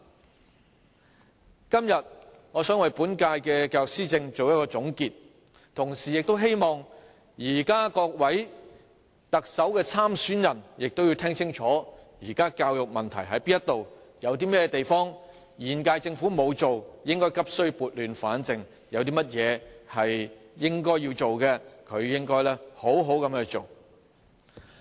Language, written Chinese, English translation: Cantonese, 我今天想為本屆政府的教育施政作一總結，同時希望各位特首參選人聽清楚現時教育問題何在，有哪些是現屆政府沒有做的，急需撥亂反正；有哪些應該要做的，便應好好去做。, Today I would like to draw a conclusion on the implementation of education policies by the current - term Government . At the same time I hope that the various Chief Executive aspirants will listen carefully to where the present problems with education lie . Problems which have not been addressed by the current - term Government need to be rectified urgently